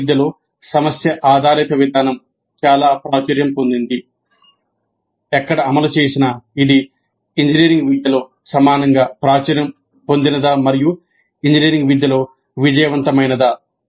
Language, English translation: Telugu, While in medical education problem based approach has become very popular, has it become equally popular and successful in engineering education wherever they have implemented